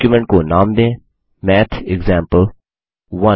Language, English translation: Hindi, Name the document as MathExample1